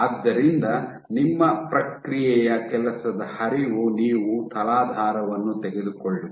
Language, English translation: Kannada, So, your process workflow is you take a substrate ok